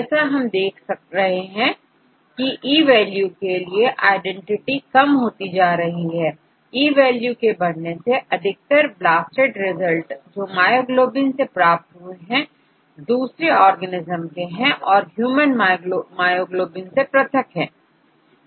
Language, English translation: Hindi, As you could seethe identity keeps on decreasing with E value, with E value increasing and most of this blasted results are from myoglobin, from other organisms which differs from the human myoglobin